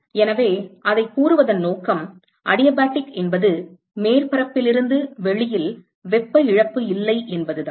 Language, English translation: Tamil, So, the purpose of saying it adiabatic is that there is no heat loss from the surface to outside that is all